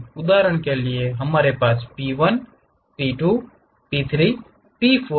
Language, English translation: Hindi, For example, we have point P 1, P 2, P 3, P 4